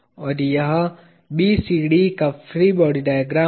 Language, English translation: Hindi, And this is the free body diagram of BCD